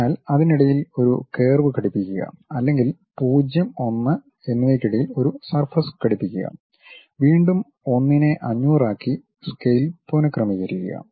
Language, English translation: Malayalam, So, fit a curve in between that or fit a surface in between 0, 1 and again rescale it up to 1 to 500